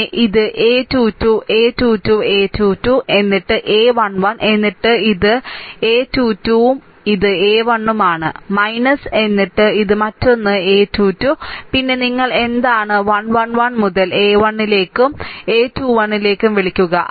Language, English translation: Malayalam, And then this is 2 3 a 3 2 and this is a 1 1, and then minus this another one, that your a 3 3, then a you are what you call 1 1 1 to a 1 to then your a 2 1